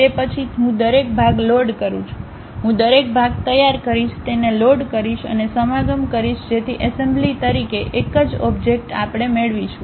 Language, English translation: Gujarati, Then, I load each individual part, I will prepare each individual part, load it and make a mating, so that a single object as assembly we will get it